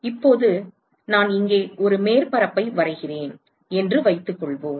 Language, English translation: Tamil, Now, supposing I draw a surface here